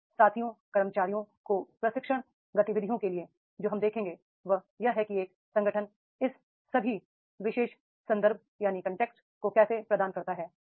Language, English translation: Hindi, Now the peers, the employees for training activities that we will see that is how the an organization provides all these particular context is are provided is there